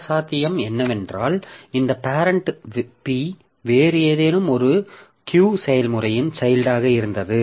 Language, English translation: Tamil, Other possibility is that this parent P that we had, so it was the, and itself was the child of some other process Q